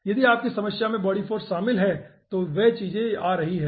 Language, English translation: Hindi, if your problems involves body force, those things will be coming over here